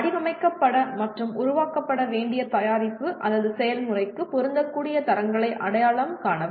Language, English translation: Tamil, Identify the standards that are applicable to the product or process that needs to be designed and developed